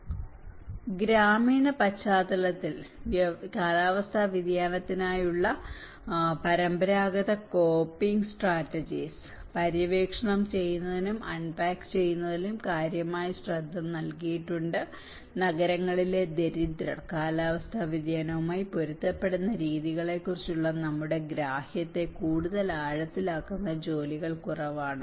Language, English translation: Malayalam, (FL from 25:43 to 28:11), significant attention has been given to exploring and unpacking traditional coping strategies for climate change in the rural context, less work has gone too deepening our understanding of the ways urban poor are adapting to climate variability